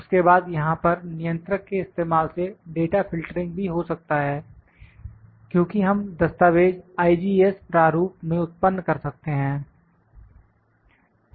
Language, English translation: Hindi, Then data filtering can also happen using this controller here on only because, we can produce we can create the file in IGES format